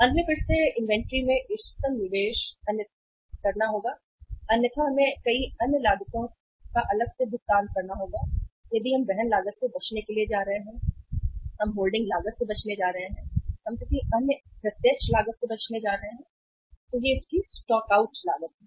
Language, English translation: Hindi, So ultimately again the optimum investment in the inventory because otherwise we will have to pay apart from the many other cost if we are going to avoid the carrying cost, we are going to avoid the holding cost, we are going to avoid any other direct cost it has the stock out cost